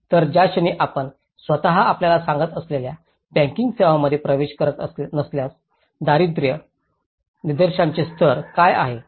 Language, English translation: Marathi, So, the moment if you are not access to the banking services that itself tells you know, what is the level of the poverty indication